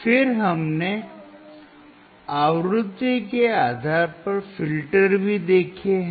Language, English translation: Hindi, Then we have also seen the filters based on the frequency